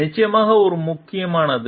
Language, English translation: Tamil, Definitely, it matters